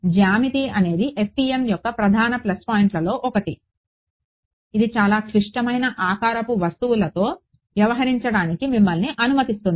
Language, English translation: Telugu, Then geometry this is one of the major plus point of FEM, it allows you to deal with many complex shaped objects